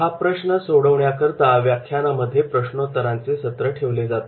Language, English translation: Marathi, To overcome these problems, the lecture is often supplemented with the question and answer periods